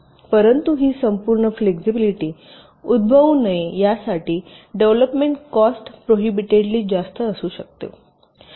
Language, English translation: Marathi, but obviously, for this entire flexibility to happen, the development cost can be prohibitively high